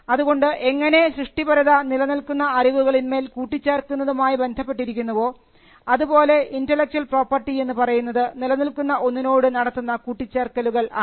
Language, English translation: Malayalam, So, just how creativity comprises of building on existing knowledge, so also intellectual property is something which is build on what is already known